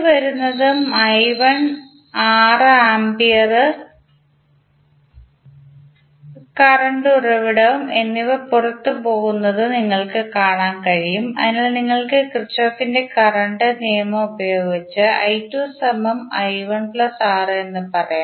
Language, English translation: Malayalam, You can see I 2 is coming in and i 1 and 6 ampere current source are going out, so you can simply apply Kirchhoff Current Law and say that i 2 is nothing but i 1 plus 6